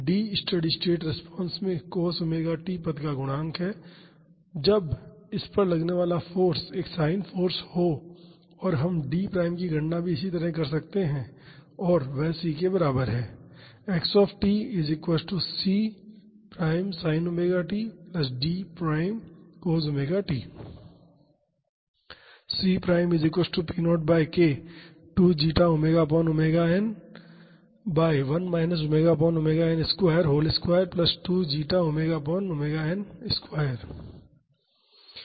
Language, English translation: Hindi, D is the coefficient of the cos omega t term in the steady state response when the acting forces a sin force and we can also calculate D prime as this and that is equal to C